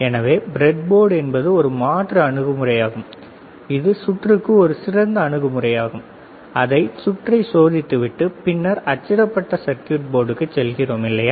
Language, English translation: Tamil, So, breadboard is an alternative approach is a better approach to making the circuit, and test it and then we move on to the printed circuit board, all right